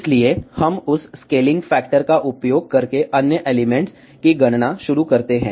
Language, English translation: Hindi, So, we start with the other elements calculation using that scaling factor ok